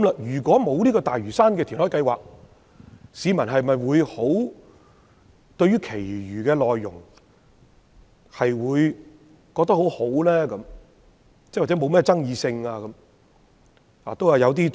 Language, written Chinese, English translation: Cantonese, 如果沒有大嶼山填海計劃，市民會否認為施政報告其餘的內容可取或不具爭議性？, Had the Lantau Island reclamation project not been included will the public consider the remainder of the Policy Address desirable or non - controversial?